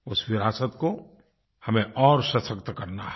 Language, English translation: Hindi, We have to further fortify that legacy